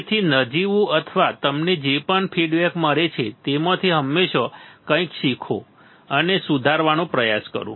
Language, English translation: Gujarati, So, immaterial or whatever feedback you get always learn something from that and try to improve right